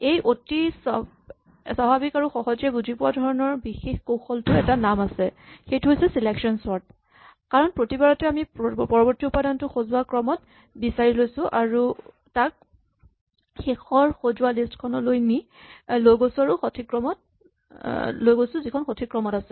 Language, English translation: Assamese, This particular strategy which is very natural and intuitive has a name is called Selection Sort, because at each point we select the next element in sorted order and move it to the final sorted list which is in correct order